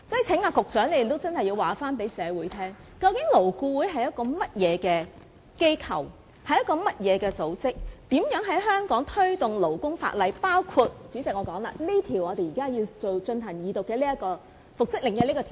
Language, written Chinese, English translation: Cantonese, 請局長認真告訴社會，究竟勞顧會是一個甚麼機構或組織，它如何在香港推動保障勞工的法例，包括這項現正要進行二讀的《條例草案》所涉及的復職令。, Will the Secretary please seriously explain to members of the public what kind of organization LAB is and how it promotes the enactment of labour protection legislation including the order for reinstatement that this Bill which is to be read the Second time is concerned with